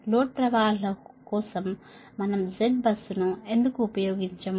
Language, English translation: Telugu, do we make admittance for the why we don't use z bus for load flows